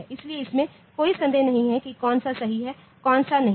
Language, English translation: Hindi, So, there is no doubt like which one is correct which one is not